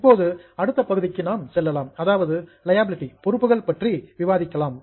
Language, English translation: Tamil, Now, let us go to the next part that is liability